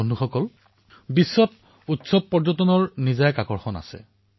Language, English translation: Assamese, Friends, festival tourism has its own exciting attractions